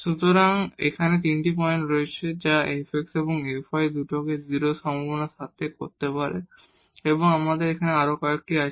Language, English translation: Bengali, So, there are 3 points here which can make this fx and fy both 0 with this possibilities and now we have another one